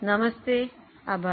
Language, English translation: Gujarati, Namaste, thank you